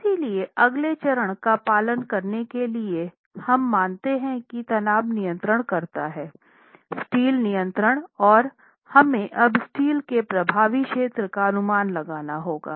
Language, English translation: Hindi, So, to follow on to the next step, we assume that tension controls, so the steel controls and we have to make now an estimate of the effective area of steel